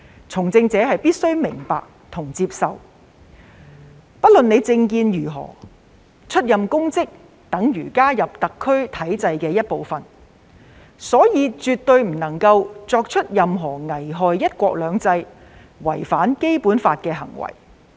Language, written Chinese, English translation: Cantonese, 從政者必須明白及接受，不論政見為何，出任公職等於加入特區體制的一部分，所以絕對不能做出任何危害"一國兩制"及違反《基本法》的行為。, Politicians must regardless of their political views understand and accept that holding any public office is tantamount to being part of the SAR structure and thus they must not commit any act that jeopardizes one country two systems or violates the Basic Law